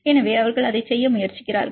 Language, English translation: Tamil, So, they are trying to do it